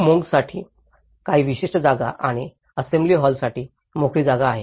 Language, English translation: Marathi, There is certain spaces for monks and the spaces for assembly halls